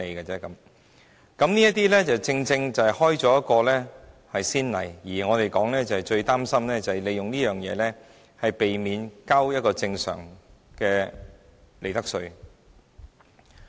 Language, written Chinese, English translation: Cantonese, 這正正開了一個先例，而我們最擔心的就是有公司利用這種方法，避免繳交正常的利得稅。, This is precisely setting a precedent . What worries me most is that some companies may make use of this arrangement to avoid paying normal profits tax